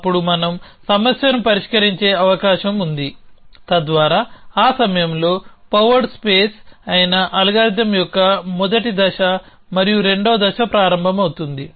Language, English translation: Telugu, Then there is a possibility that we have solved the problem so that at that point, the first stage of the algorithm which is a powered space and the second stage begin